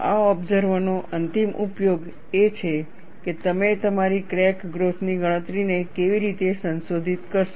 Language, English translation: Gujarati, The ultimate usage of this observation is, how do you modify your crack growth calculation